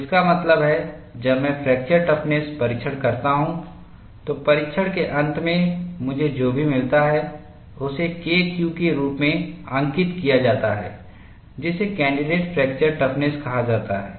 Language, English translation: Hindi, So, that means, when I perform a fracture toughness testing, at the end of the test, whatever I get is labeled as K Q; which is called candidate fracture toughness